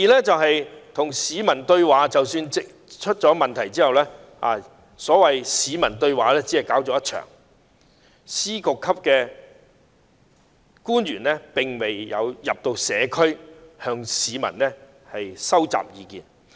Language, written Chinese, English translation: Cantonese, 即使出事後，政府亦只舉辦了一場所謂的"對話大會"，司局級官員並沒有走進社區，向市民收集意見。, Even after the outbreak of social disturbances the Government organized only one so - called Community Dialogue session . The various Secretaries of Departments and Bureau Directors did not get in touch with the community to collect the citizens views